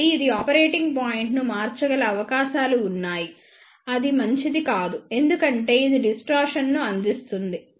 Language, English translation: Telugu, So, there are chances that it may shift the operating point which may not be desirable because it will provide the distortions